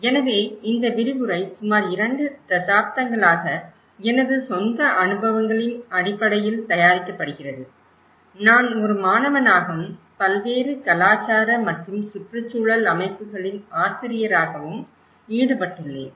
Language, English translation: Tamil, So, this lecture is being prepared based on my own experiences for about 2 decades how I have been involved both as a student and as a faculty in different cultural and environmental setups